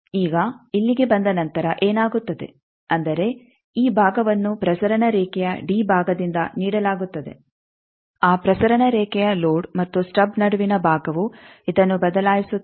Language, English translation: Kannada, Now, after coming here what happens that means, this part is given by the d portion of the transmission line that transmission line portion of the between the load and the stub that changes this